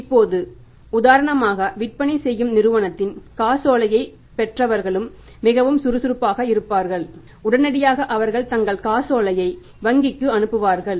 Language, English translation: Tamil, Now, for example, if the selling company who have received the check they are also very active and immediately they send their check to the bank